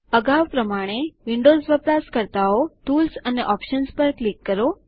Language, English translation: Gujarati, As before, Windows users, please click on Tools and Options